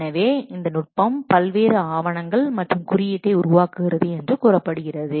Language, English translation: Tamil, So this technique reportedly produces various documents and code